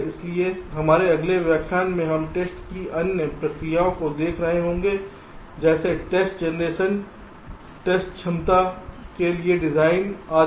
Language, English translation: Hindi, ok, so in our next lecture that will follow, we shall be looking at the other processes of testing, like test generation, design for test ability, etcetera